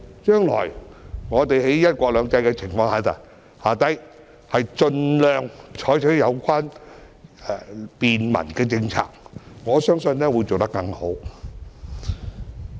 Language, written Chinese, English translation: Cantonese, 將來在"一國兩制"下，我們應該盡量採取便民政策，我相信將會做得更好。, Under the one country two systems principle we should implement facilitating policies for the public in the future and I believe that we will do it better